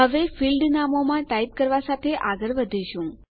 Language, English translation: Gujarati, Now we proceed with typing in the the field names